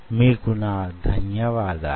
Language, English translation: Telugu, ok, thanks a lot